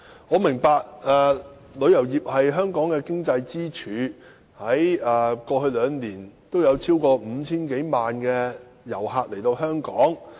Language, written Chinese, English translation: Cantonese, 我明白旅遊業是香港的經濟支柱，過去兩年有超過 5,000 多萬名旅客訪港。, I understand that the tourism industry is a pillar of the economy of Hong Kong and there were 50 - odd million visitor arrivals in Hong Kong in the past two years